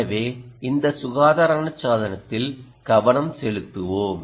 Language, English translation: Tamil, so let us focus on this healthcare device